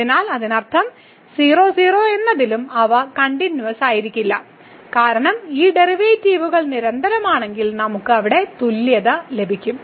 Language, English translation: Malayalam, So that means, they are not continuous also at 0 0 because we have seen if the derivatives these derivatives are continuous then we will get the equality there